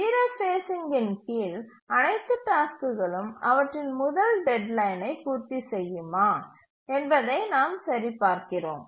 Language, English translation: Tamil, And then under zero phasing we check whether all tasks will meet their first deadline